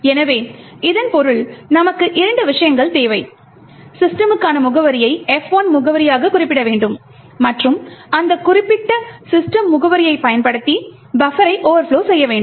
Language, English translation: Tamil, So, this means we require two things we need to specify the address for system as the F1 address and overflow the buffer using that particular address of system